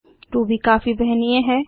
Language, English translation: Hindi, Ruby is highly portable